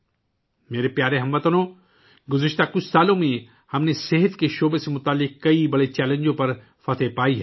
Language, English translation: Urdu, My dear countrymen, in the last few years we have overcome many major challenges related to the health sector